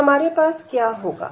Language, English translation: Hindi, So, what do we get